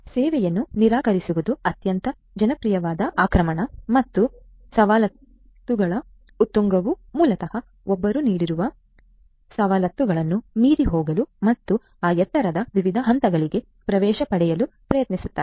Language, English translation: Kannada, So, denial of service is a very popular form of attack and elevation of privilege is basically one tries to go beyond the privileges that have been given and try to get access to those different points of elevation